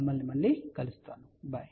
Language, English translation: Telugu, We will see you next time, bye